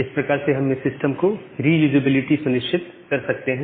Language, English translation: Hindi, So, that way we can ensure the reusability of the system